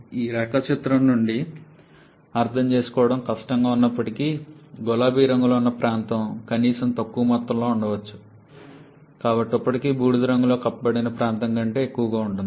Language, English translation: Telugu, And though it is quite difficult to understand from this diagram but it can be shown that the one shaded in pink that area is at least even maybe by a smaller amount but is still higher than the area enclosed or shaded in the grey